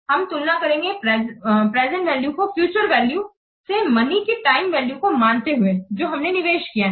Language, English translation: Hindi, We compare the present values to the future values by considering the time value of the money that we have invested